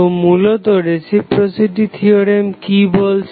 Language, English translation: Bengali, So, let us start with the reciprocity theorem